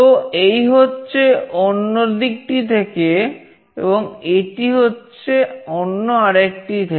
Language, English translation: Bengali, So, this is from the other side and this is from the other one